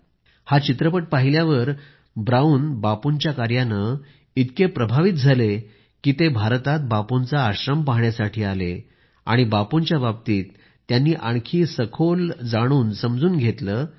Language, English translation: Marathi, Brown got so inspired by watching this movie on Bapu that he visted Bapu's ashram in India, understood him and learnt about him in depth